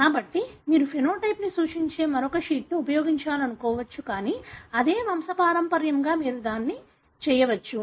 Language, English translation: Telugu, So, you may want to use another sheet that represents the phenotype, but for the same pedigree you can do that